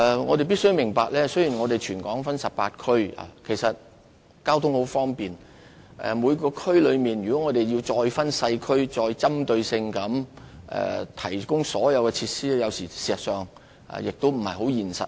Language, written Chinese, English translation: Cantonese, 我們必須明白，雖然全港分為18區，但交通十分方便，如果我們再每個社區細分，針對性地提供所有設施，有時候亦不切實際。, We must understand that although the territory is divided into 18 districts with very convenient traffic it may sometimes be impracticable for us to subdivide every community and provide all facilities in a targeted manner